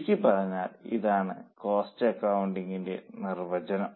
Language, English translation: Malayalam, Now this is a definition of cost accounting